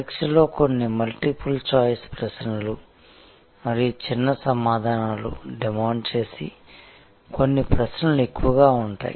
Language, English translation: Telugu, The examination will mostly have some multiple choice questions and some questions demanding short answers